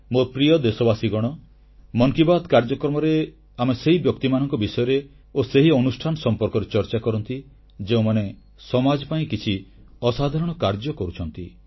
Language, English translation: Odia, My dear countrymen, in "Mann Ki Baat", we talk about those persons and institutions who make extraordinary contribution for the society